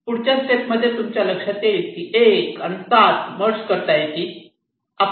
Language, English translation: Marathi, so in the next step you can find that you can merge one and seven